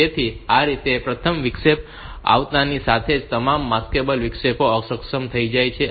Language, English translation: Gujarati, So, this way, as soon as the first interrupt arrives all maskable interrupts are disabled